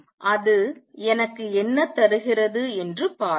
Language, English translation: Tamil, And let us see what is that give me